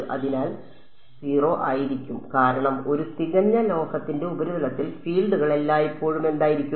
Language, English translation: Malayalam, So, e z is going to be 0 because on a perfect metal the surface the fields are always what